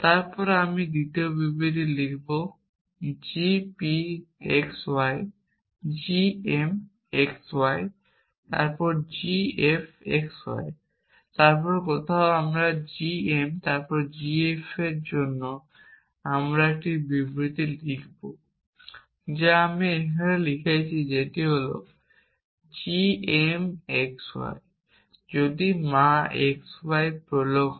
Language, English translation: Bengali, statement as g p x y g m x y then g f x y then somewhere I would write a statement for g m then g f which is what I have written here which is that g m x y if a mother x y prolog is it is a coma instead of